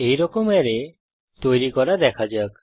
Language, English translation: Bengali, Let us see how to create such array